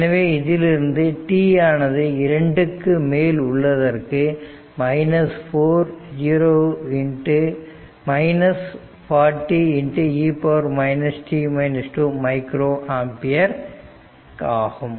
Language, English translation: Tamil, So, this is your 0 to 2 that is your 20 micro ampere